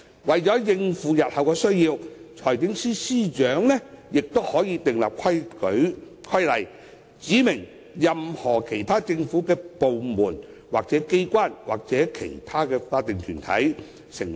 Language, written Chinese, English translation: Cantonese, 為應付日後需要，財政司司長可訂立規例，指明任何其他政府部門、機關或其他法定團體。, To cater for future needs the Financial Secretary may make regulation to specify any other department or agency of the Government or other statutory bodies